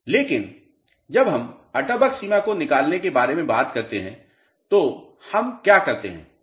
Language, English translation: Hindi, But, when we talk about determination of Atterberg limits what do we do